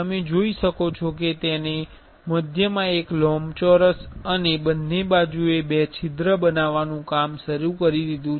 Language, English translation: Gujarati, You can see it started making a rectangle in the center and two holes in the two sides